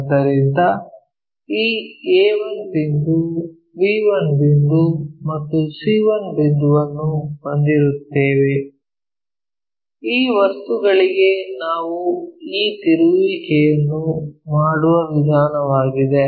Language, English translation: Kannada, So, we will have this c 1 point, b 1 point and c 1 point this is the way we make these rotations for this objects